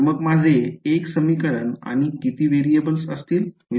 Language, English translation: Marathi, So, I will have 1 equation how many variables